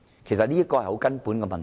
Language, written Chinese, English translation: Cantonese, 這是很根本的問題。, This is a very fundamental issue